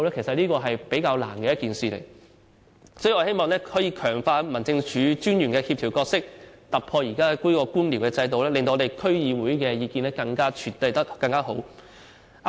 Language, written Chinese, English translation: Cantonese, 所以，我們希望可以強化民政事務專員的協調角色，突破現時的官僚制度，使區議會的意見獲得更妥善的處理。, For this reason we hope to strengthen the coordination role of District Officers and make a breakthrough in the existing bureaucratic system so that the views of DCs can be better addressed